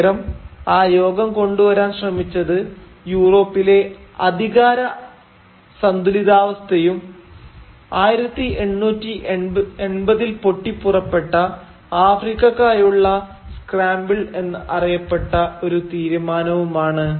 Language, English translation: Malayalam, Rather, what the conference sought to achieve was a balance of power in Europe and a resolution of what is known as the scramble for Africa that had broken out in the 1880’s